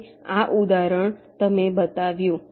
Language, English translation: Gujarati, this example you have shown